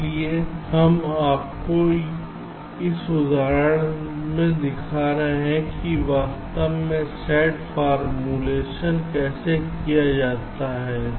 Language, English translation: Hindi, so we are just showing you with this example that how the sat formulation is actually done